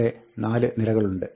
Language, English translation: Malayalam, These are the four rows